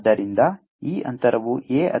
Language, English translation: Kannada, so this distance is a